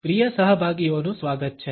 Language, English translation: Gujarati, Welcome dear participants